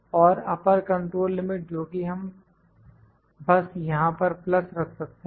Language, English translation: Hindi, And the upper control limit that we will we can have we can just put this plus here